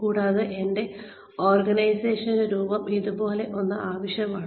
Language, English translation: Malayalam, And, I need the shape of my organization, to be something like